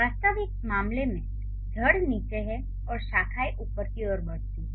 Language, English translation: Hindi, In the real case, the root is below and the branches they grow up upwards